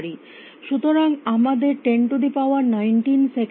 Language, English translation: Bengali, So, we need 10 is to 19 seconds